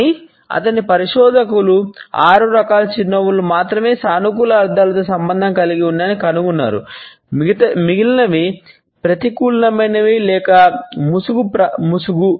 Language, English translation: Telugu, But his researchers had come up with this finding that only six types of a smiles are associated with positive connotations, the rest are either negative or a mask